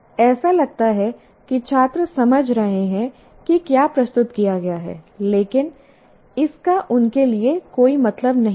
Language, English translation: Hindi, Students seem to be understanding what is presented, but it doesn't make any meaning to them